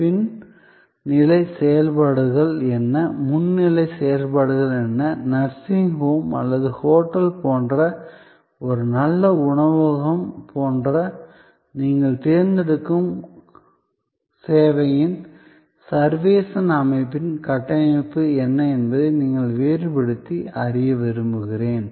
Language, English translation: Tamil, And I would like also, that you try to distinguish that, what are the back stage functions, what are the front stage functions and what is the architecture of the servuction system of your choosing service like the nursing home or like the hotel or like a good restaurant